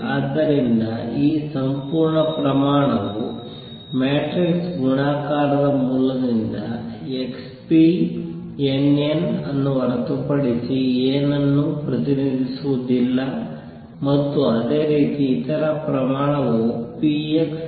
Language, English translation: Kannada, So, this represent this whole quantity represents nothing but x p n, n by matrix multiplication root and similarly the other quantity represents p x n n